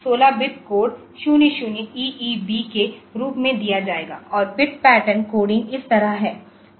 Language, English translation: Hindi, this will be given as a 16 bit code 0 0EEB and the bit pattern coding is like this